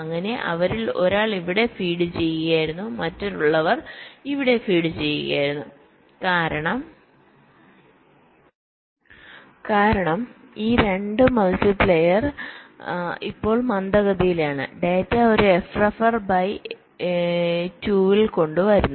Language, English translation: Malayalam, so one of them were feeding to here, other were feeding to here, because these two multipliers are no slower data coming at a f ref by two